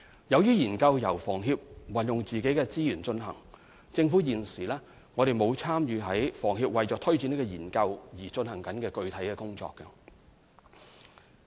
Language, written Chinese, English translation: Cantonese, 由於研究由房協運用自己的資源進行，政府現時並無參與房協為推展研究而進行的具體工作。, Since the studies are to be carried out by HKHS at its own costs the Government has not taken part in HKHSs specific work on taking forward the studies